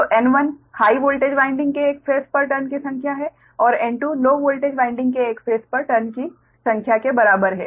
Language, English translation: Hindi, so n one is the number of turns on one phase of high voltage winding and n two is equal to number of turns on one phase of low voltage winding right